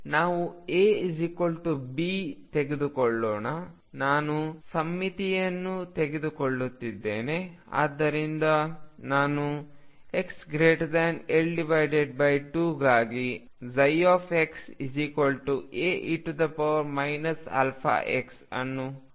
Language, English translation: Kannada, So, let us take A equals B that is I am taking symmetric psi